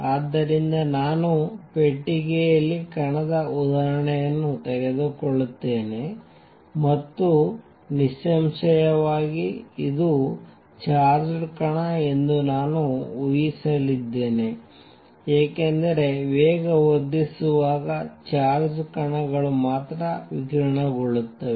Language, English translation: Kannada, So, I will take the example of particle in a box and; obviously, we are going to assume it is a charged particle because only charged particles radiate when accelerating